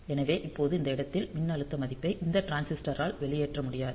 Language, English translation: Tamil, So, now this voltage value at this point cannot be discharged by this transistor